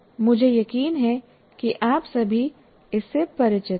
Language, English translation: Hindi, And I'm sure all of you are familiar with